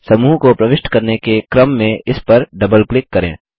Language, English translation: Hindi, Double click on it in order to enter the group